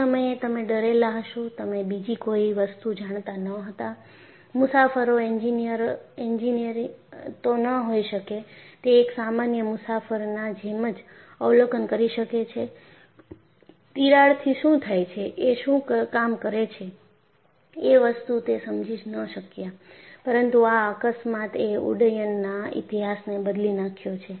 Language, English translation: Gujarati, So, you will be afraid; you would not know; the passenger may not be an engineer;he would have been a common passenger whohave observed; would not have understood what is the role of a crack, but this accident had changed the aviation history